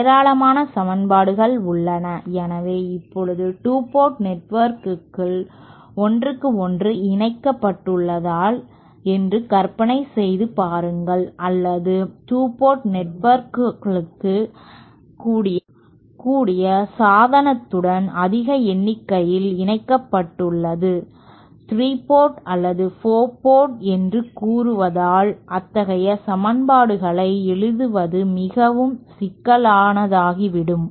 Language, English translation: Tamil, Now as we saw writing down the equations for even a 2 port network is quite involved, there are lots of equations involved so now imagine if we have a number of 2 port networks connected with each other or 2 port network connected with higher number of with a device which has at the say 3 port or 4 port so then keeping on writing such equations becomes very complicated and it might take a lot time and its difficult to analyze generally